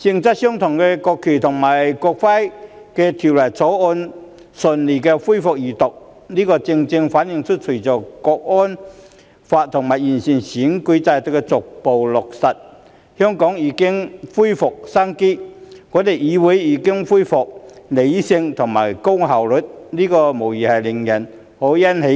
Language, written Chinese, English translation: Cantonese, 今天，我們順利恢復這項性質相同的《條例草案》的二讀辯論，這正正反映出，隨着《香港國安法》及完善選舉制度逐步落實，香港已經恢復生機，我們的議會亦已回復理性，以及高效率的工作，這無疑是令人欣喜的。, Finally we managed to complete the scrutiny work after going through a lot of hardships . Today the smooth resumption of the Second Reading debate of the Bill reflects that with the gradual implementation of the Hong Kong National Security Law and the improvement to the electoral system Hong Kong has regained vitality and the Council is back to rational and highly efficient operation . We are certainly happy to see this